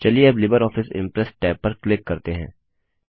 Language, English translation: Hindi, Now lets click on the LibreOffice Impress tab